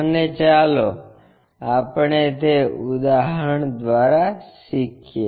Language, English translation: Gujarati, And, let us learn that through an example